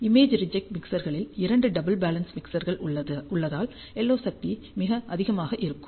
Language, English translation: Tamil, Image reject mixer contains two doubly balanced mixers, hence the LO power is very high